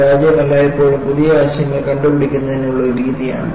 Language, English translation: Malayalam, Because, failure has always been a method for inventing new ideas